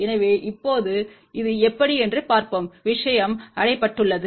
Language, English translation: Tamil, So, now, let us see how this thing has been achieved